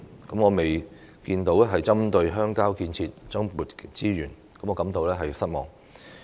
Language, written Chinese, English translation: Cantonese, 我也沒有看到政府針對鄉郊建設增撥資源，為此感到失望。, I have also failed to see the allocation of more resources by the Government for rural development . I am therefore disappointed